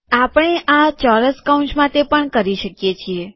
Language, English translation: Gujarati, We can do this also with square brackets